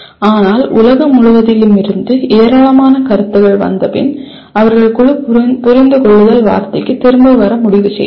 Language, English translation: Tamil, But after lot of feedback coming from all over the world, the group decided to come back to the word understand